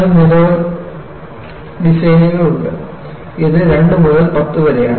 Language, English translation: Malayalam, And you have seen in several designs, it ranges from 2 to 10